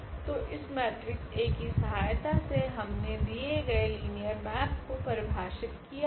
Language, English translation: Hindi, So, the given linear map we have defined with the help of this matrix A